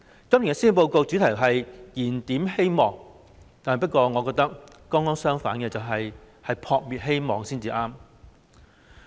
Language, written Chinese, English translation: Cantonese, 今年施政報告的主題是"燃點希望"，但我覺得情況剛剛相反，是"撲滅希望"才對。, The theme of this years Policy Address is Rekindling Hope but I think the situation is just the opposite . It is in fact suppressing hope